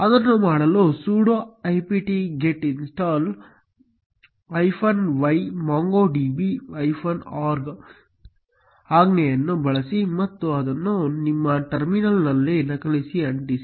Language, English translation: Kannada, To do that use the command sudo apt get install y MongoDB org and copy paste it in your terminal